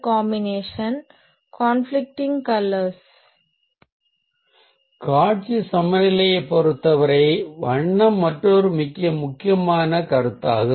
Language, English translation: Tamil, colour is another very important consideration as far as visual balance is concerned